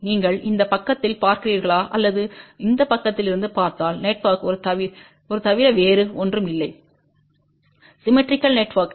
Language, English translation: Tamil, As you can see if you look on this side or you look from this side the network is nothing but a symmetrical network